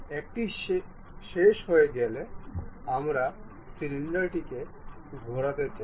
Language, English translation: Bengali, Once it is done, we would like to revolve a cylinder